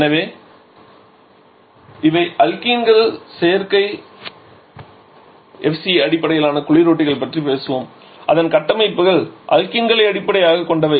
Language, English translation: Tamil, So, these are alkenes so we shall be talking about the synthetic FCS refrigerants who are structures are based upon alkenes